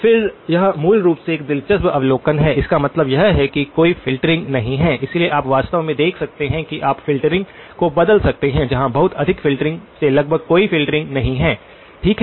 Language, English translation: Hindi, Again, it is an interesting observation basically; this means that there is no filtering, so you actually can see that you can vary the filtering all the way from something where there is very tight filtering to almost no filtering, okay